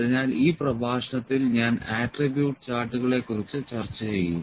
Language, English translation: Malayalam, So, I will discuss the attribute charts in this lecture